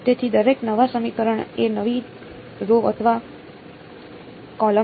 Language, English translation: Gujarati, So, every new equation is a new row or column